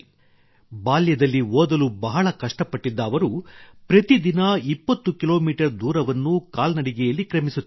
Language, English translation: Kannada, In his childhood he had to work hard to study, he used to cover a distance of 20 kilometers on foot every day